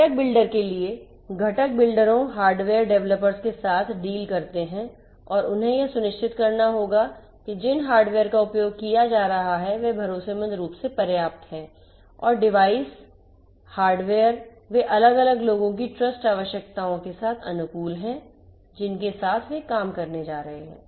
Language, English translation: Hindi, For the component builder; component builders deal with hardware developers and they will have to ensure that the hardware that are being used are trustworthy enough and the devices the hardware, they are compatible with the trust requirements of the different ones with whom they are going to work